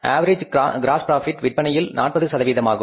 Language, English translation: Tamil, We are given here that the average gross profit on sales is 40%